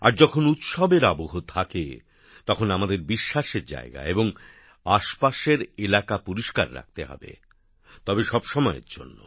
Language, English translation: Bengali, And during the festive atmosphere, we have to keep holy places and their vicinity clean; albeit for all times